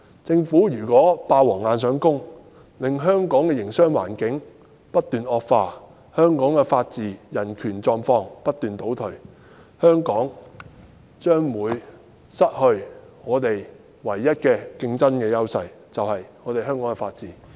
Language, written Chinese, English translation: Cantonese, 政府如果"霸王硬上弓"，令香港的營商環境不斷惡化，香港的法治和人權狀況不斷倒退，香港便將會失去我們唯一的競爭優勢——就是香港的法治。, If the Government bulldozes the amendments through Hong Kongs business environment will continue to worsen and Hong Kongs rule of law and human right conditions will continue to move backwards . Hong Kong will lose its only competitive edge namely its rule of law